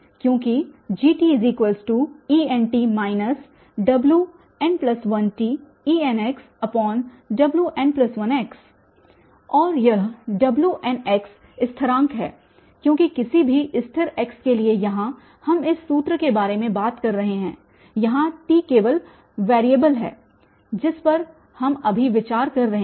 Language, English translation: Hindi, Because Gt is nothing but the Et, En t and Wn plus 1 t, En x and this Wn x they are constants because for any but fixed x here we are talking about this formula here t is only the variable which we are considering now